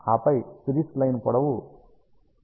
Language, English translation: Telugu, And then I will have a series line with length l 1 equal to 0